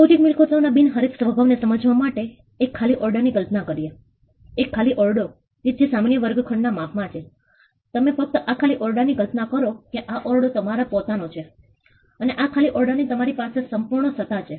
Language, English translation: Gujarati, Now, to understand non rivalrous nature of intellectual property, let us look imagine empty room an empty room which is in the size of a normal classroom, you just imagine an empty room and imagine that you own this empty room you have complete power over this empty room